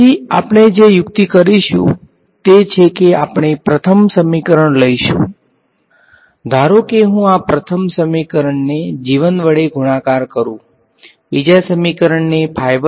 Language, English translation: Gujarati, So, so, well the trick that we will do is, we will take the first equation; supposing I take this first equation multiplied by g 1, take the second equation multiplied by phi 1 ok